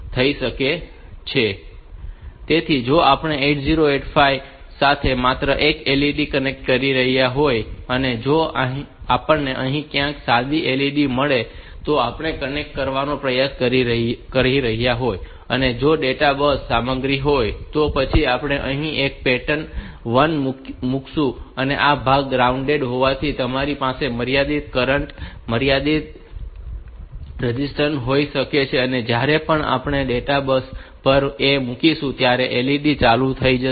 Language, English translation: Gujarati, if we have got a simple LED somewhere here and we are trying to connect it then, if it is the data bus content then somehow we have to put a pattern 1 here and this part being grounded, you can have a limiting current, limiting resistance here and this LED will be turned on whenever we put a one on the data bus